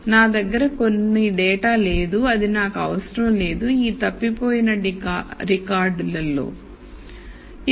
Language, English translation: Telugu, I have some data which is missing I simply need to ll in these missing data records